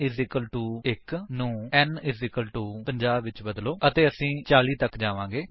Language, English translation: Punjabi, So, change n = 50 to n = 7 and then we end with 70